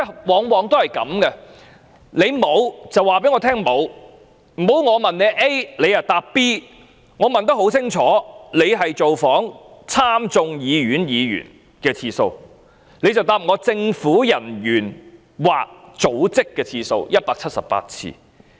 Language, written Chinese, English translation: Cantonese, 我的質詢很清楚，我是問華盛頓經貿辦人員造訪美國眾議院議員和參議院議員的次數，而政府卻答覆我高級政府人員/組織的次數為178次。, My question was straightforward . I asked about the number of calls on members of the United States House of Representatives and Senate by the Washington ETO but the Government told me that the Washington ETO made 178 calls on senior government officialsorganizations